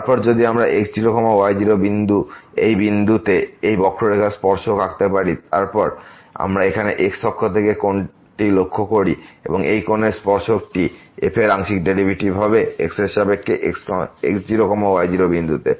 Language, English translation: Bengali, Then, if we draw the tangent on this curve at this point and then, we note here the angle from the axis and the tangent of this angle would be precisely the partial derivative of with respect to at naught naught